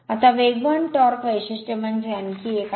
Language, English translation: Marathi, Now, another one is the speed torque characteristic